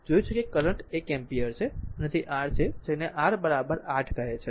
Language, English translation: Gujarati, We have seen the current is one ampere and it is your what you call R is equal to 8 ohm